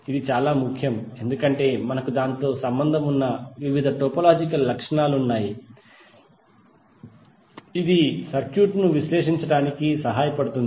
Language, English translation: Telugu, So this is very important because we have various topological properties associated with it which will help us to analyze the circuit